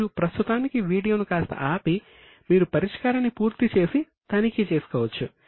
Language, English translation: Telugu, You can pause the video for the time being so that you can complete and verify the solution